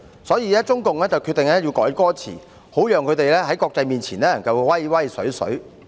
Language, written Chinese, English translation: Cantonese, 所以，中共決定要修改歌詞，好讓他們在國際面前展威風。, For this reason CPC decided to revise the lyrics so that they could throw their weight around in the international community